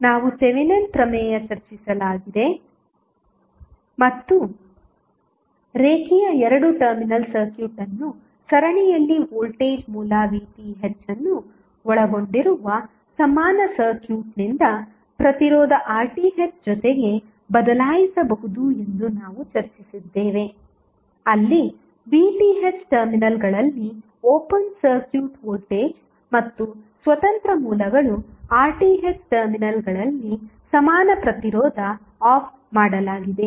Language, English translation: Kannada, We discussed Thevenin's theorem and we discussed that the linear two terminal circuit can be replaced by an equivalent circuit consisting of the voltage source V Th in series with a register R Th where V Th is an open circuit voltage at the terminals and R Th is the equivalent resistance at the terminals when the independent sources are turned off